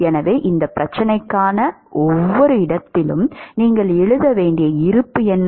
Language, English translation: Tamil, So, what is the balance that you would write at every location for this problem